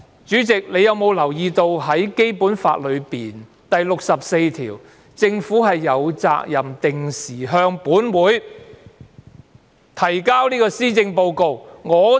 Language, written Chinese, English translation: Cantonese, 主席，你有否留意到，《基本法》第六十四條訂明，政府有責任"定期向立法會作施政報告"呢？, President are you aware of a stipulation in Article 64 of the Basic Law which states that the Government is duty - bound to present regular policy addresses to the Council?